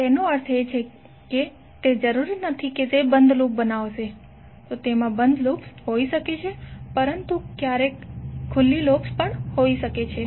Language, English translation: Gujarati, That means that it is not necessary that it will create a close loop, So it can have the close loops but there may be some open loops also